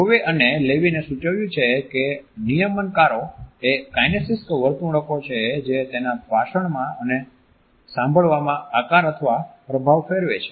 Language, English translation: Gujarati, Rowe and Levine have suggested that regulators are kinesic behaviors that shape or influence turn taking in his speech and listening